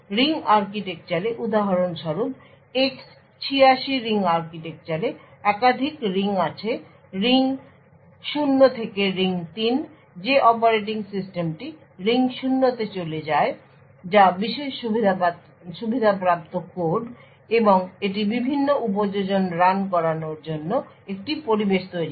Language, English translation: Bengali, In the ring architecture for example X86 ring architecture, there are multiple rings, ring 0 to ring 3, the operating system runs in the ring 0 which is the privileged code and it creates an environment for various applications to run